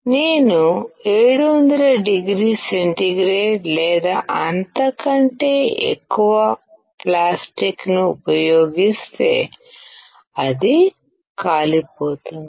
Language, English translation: Telugu, If I use plastic at 700oC or more, it will burn